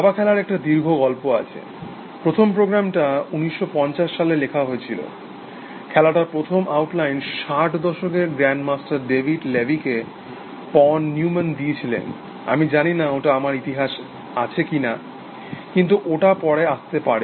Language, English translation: Bengali, There is a long story of chess playing, the first programs were written in 1950’s, one of the first outline of the game was given by pone Neumann in the 60’s grand master called David levy, I do not know whether I have it in my history, but may be it will come later